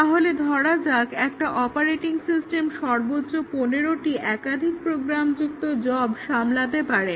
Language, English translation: Bengali, So, let say an operating system can handle at most 15 multiprogrammed jobs